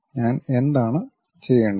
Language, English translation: Malayalam, What I have to do